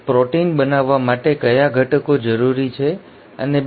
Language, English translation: Gujarati, What are the ingredients which are required to make the proteins and 2